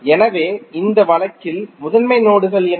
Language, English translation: Tamil, So, what are the principal nodes in this case